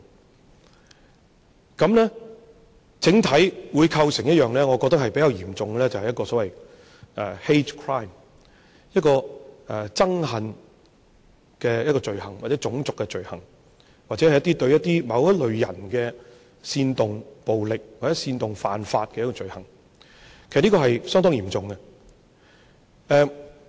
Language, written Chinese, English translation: Cantonese, 這樣子，我覺得整體會構成一個比較嚴重的 hate crime， 一個憎恨罪行、種族罪行，或者對某一類人煽動暴力，或者煽動犯法的一個罪行，這是相當嚴重。, In this way I think all this has amounted to a rather serious hate crime a crime of hatred a crime against race or a crime which incites violence among a group of people or incites crimes . This is pretty serious